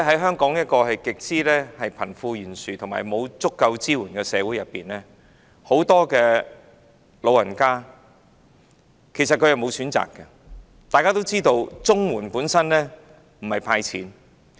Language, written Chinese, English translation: Cantonese, 香港是一個極為貧富懸殊及欠缺足夠支援的社會，其實很多長者均沒有選擇，而且正如大家都知道，綜援並不等於"派錢"。, Hong Kong is a society where there is an extremely serious wealth gap but with inadequate support . In fact many elderly people have no choice and as we all know CSSA is not equivalent to granting cash handouts